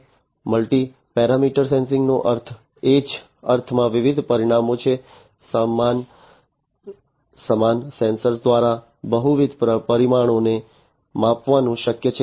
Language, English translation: Gujarati, Multi parameter sensing means like different parameters in the same sense through the same sensors it is possible to measure multiple parameters